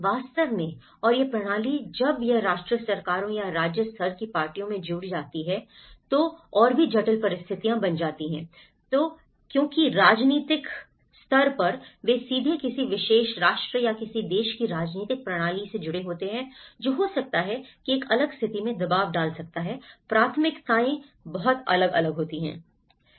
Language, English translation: Hindi, In fact, and this system when it gets connected to the national governments or the state level parties that is were even more complex situations works because on the political, they are, directly linked with the political system of a particular nation or a country which might be pressurized in a different situation, the priorities are very different